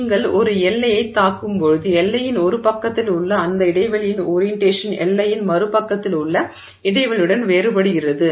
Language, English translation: Tamil, When you hit a boundary, the orientation of that spacing is different on one side of the boundary relative to the spacing on the other side of the boundary